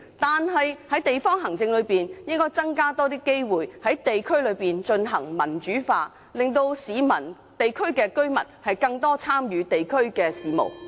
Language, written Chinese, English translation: Cantonese, 但是，在地方行政方面，區議會應該加強在地區推行民主化，令市民和當區居民能參與更多地區事務。, Yet in terms of district administration DCs should strengthen the promotion of democratization in districts so that the public and local residents can have greater participation in local affairs